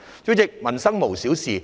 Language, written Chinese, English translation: Cantonese, 主席，民生無小事。, President nothing about peoples livelihood is trivial